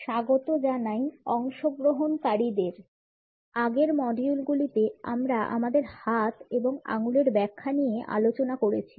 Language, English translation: Bengali, Welcome dear participants, in the prior modules we have looked at the interpretations of our hands and fingers